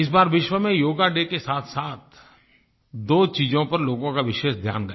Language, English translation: Hindi, This time, people all over the world, on Yoga Day, were witness to two special events